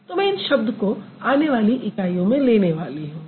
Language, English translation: Hindi, So, I'm going to use it more often in the upcoming units